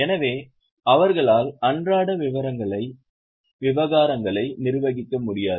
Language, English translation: Tamil, So, they cannot manage day to day affairs